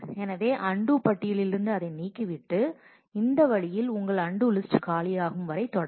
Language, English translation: Tamil, So, you remove that from the undo list and in this way, you will continue till your undo list is becomes empty